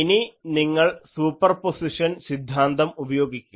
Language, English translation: Malayalam, So, then, you apply Superposition principle